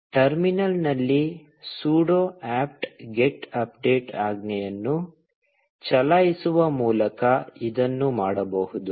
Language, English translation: Kannada, This can be done by running the sudo apt get update command on the terminal